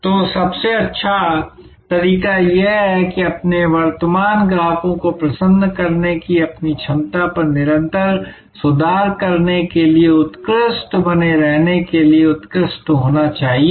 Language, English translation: Hindi, So, the best way to do that is to be excellent to remain excellent to improve continuously on your ability to delight your current customers